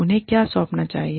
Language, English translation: Hindi, What should, they delegate